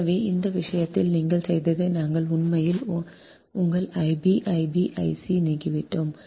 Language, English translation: Tamil, so here, in this case, what you have done, we have eliminated actually your i b, i b, i c, we have eliminated i a actually